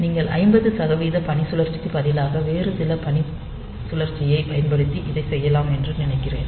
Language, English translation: Tamil, So, I think you can do it using some other duty cycle, instead of 50 percent using some other duty cycle comes